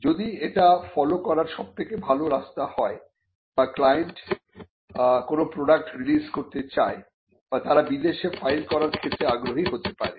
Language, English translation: Bengali, If that is the best course to follow or the client would want to release a product or they could be some interest in filing abroad